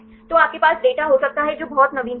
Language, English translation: Hindi, So, you can have the data which are very latest